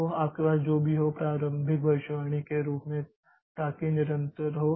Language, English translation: Hindi, So, whatever you have as the as the initial prediction so that continues